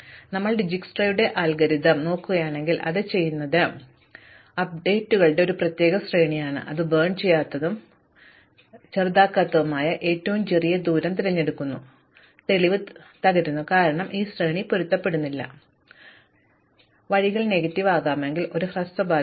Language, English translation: Malayalam, So, if you look at Dijsktra's algorithm then what it does is a particular sequence of greedy updates, it chooses the smallest distance vertex which is not burnt and it burns it and the proof breaks down, because this sequence does not match, necessarily give us a shortest path, if the ways can be negative